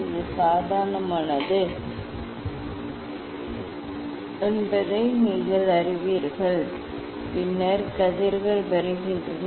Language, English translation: Tamil, you know that this is the normal to these and then rays are coming